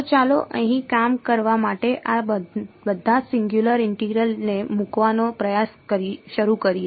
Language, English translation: Gujarati, So, let us start with trying to put all these singular integrals to work over here